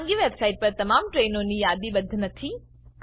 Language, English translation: Gujarati, Not all trains are listed in private website